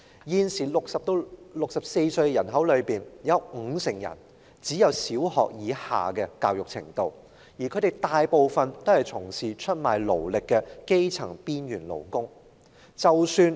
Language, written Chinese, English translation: Cantonese, 現時60歲至64歲的人口中，有五成人只有小學或以下的教育程度，當中大部分均是出賣勞力的基層邊緣勞工。, At present 50 % of the population aged between 60 and 64 have only attained education at primary level or below with most of them being marginal grass - roots workers who trade their labour for feed